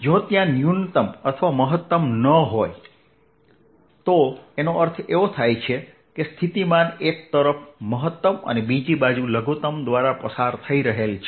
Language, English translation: Gujarati, let's understand that if there is no minimum or maximum, that means the potential is going through a maxim on one side, a minimum from the other side